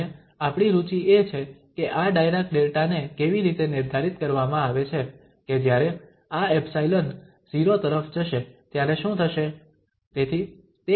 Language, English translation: Gujarati, And our interest is, and how to this Dirac Delta is defined that what will happen when this epsilon goes to 0